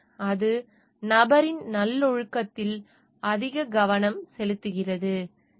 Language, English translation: Tamil, So, it focuses more on the virtue of the person